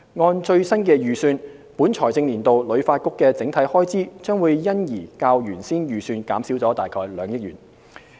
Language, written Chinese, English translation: Cantonese, 按最新預算，本財政年度旅發局整體開支將因而較原先預算減少了約2億元。, According to the HKTBs latest estimate the total expenditure of this financial year will be about 200 million less than the original estimate